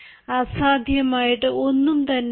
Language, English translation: Malayalam, nothing is impossible